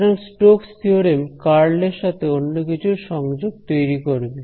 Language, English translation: Bengali, So Stoke’s theorem is going to relate the curl to something over here